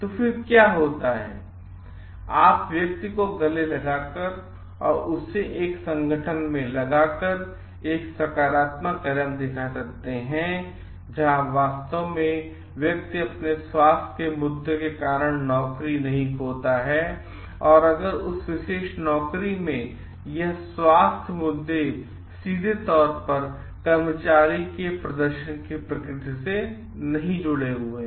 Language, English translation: Hindi, Then what happens you may show a positive step by embracing the person and putting him in a organization; where truly the person do not lose a job due to his health issues and if this health issues are not directly connected with the nature of the performance of the employee in that particular job